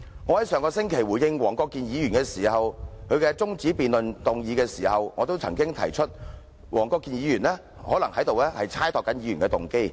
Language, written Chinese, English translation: Cantonese, 我在上星期回應黃國健議員動議的中止待續議案時曾指出，黃議員可能是在猜度議員的動機。, When I responded to the adjournment motion moved by Mr WONG Kwok - kin last week I pointed out that Mr WONG might speculate on Members motives